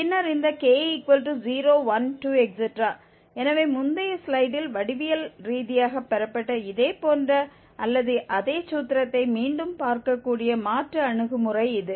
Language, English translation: Tamil, So, this is the alternative approach where we can see again a similar or the same formulation which was obtained geometrically on the previous slide